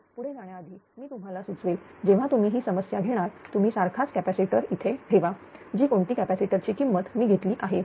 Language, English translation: Marathi, So, before proceeding to this I will suggest you when you take this problem you put the same capacitor here, whatever value I have taken you put the capacitor